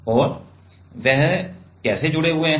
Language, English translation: Hindi, And how they are connected